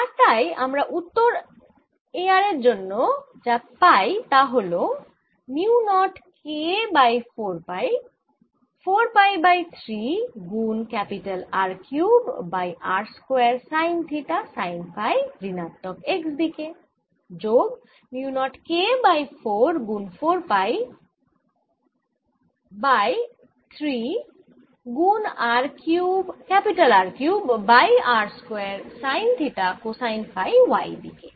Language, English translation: Bengali, so in the final answer i have: a r equals mu naught k over three r cubed over r square sine theta phi unit vector for r greater than equal to r and is equal to mu naught k over three r sine theta phi for r lesser than r